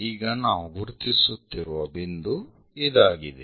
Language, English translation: Kannada, Now, this is the point what we are identifying